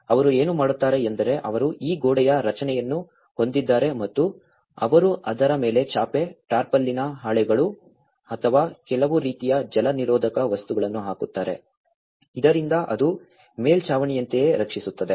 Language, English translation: Kannada, What they do is, they have this walled structure and they put a mat on it, the tarpaulin sheets or some kind of waterproof materials so that it can actually protect as a roof